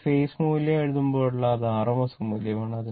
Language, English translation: Malayalam, Whenever you write phase value that it is rms value